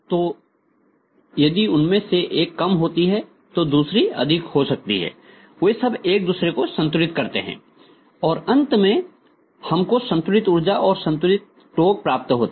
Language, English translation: Hindi, So if one of them is low, the other one may be high, so all of them balance with each other and ultimately you get a constant power, or constant torque, ultimately